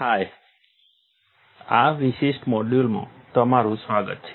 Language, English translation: Gujarati, Hi, welcome to this particular module